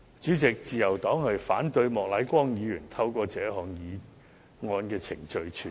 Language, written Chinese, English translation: Cantonese, 主席，自由黨反對莫乃光議員透過這項議案程序傳召律政司司長。, President the Liberal Party opposes the motion moved by Mr Charles Peter MOK to summon the Secretary for Justice